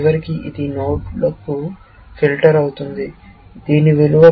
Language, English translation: Telugu, Eventually, it will filter down to the node, whose value is 17